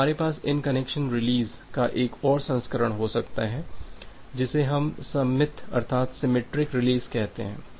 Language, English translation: Hindi, Now, we can have another variant of these connection release which we call as the symmetric release